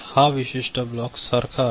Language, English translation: Marathi, This particular block is similar